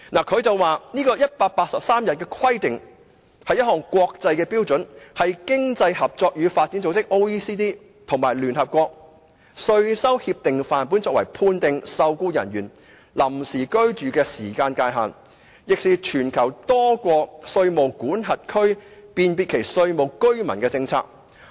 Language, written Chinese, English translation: Cantonese, 它指出，這個 "183 天規定"，是一項國際標準，是經濟合作與發展組織及聯合國稅收協定範本，作為判定受僱人員臨時居住的時間界限，亦是全球多國稅務管轄區辨別其稅務居民的政策。, It points out that the 183 days of physical presence is actually a standard international requirement . Both the Organisation for Economic Co - operation and Development OECD and the United Nations adopt this as a model tax convention to define the length of temporary stay of an employed person . It is also a policy adopted by various taxation zones to define tax residence